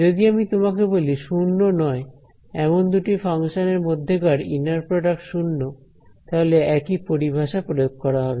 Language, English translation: Bengali, If I tell you two non zero functions have inner product 0, the same terminology applies